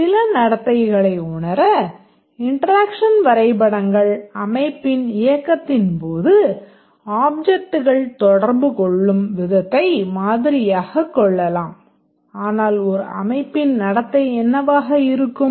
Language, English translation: Tamil, The interaction diagrams, they can model the way that objects interact during the run of the system to realize some behavior